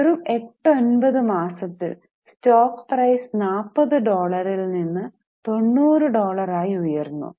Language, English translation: Malayalam, So, within 8 to 9 months time, stock price rose from $40 to $90 and the market capitalization was $80 billion